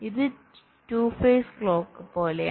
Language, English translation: Malayalam, it is like a two face clock